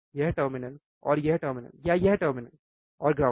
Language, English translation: Hindi, This terminal and this terminal or this terminal and ground